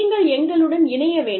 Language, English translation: Tamil, So, you need to come and join us